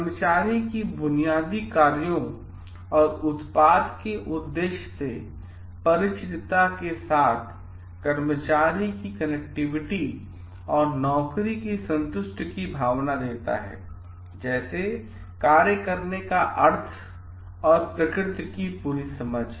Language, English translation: Hindi, And also these gives like the worker s familiarity with the purpose and basic functions of the product gives the employee a sense of connectivity and job satisfaction, like complete understanding of the nature of the job meaning of the job